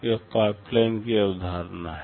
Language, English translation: Hindi, This is the concept of pipeline